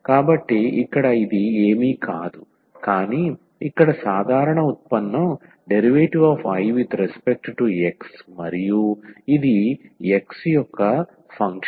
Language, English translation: Telugu, So, here this is nothing, but the ordinary derivative here dI over dx and this is a function of x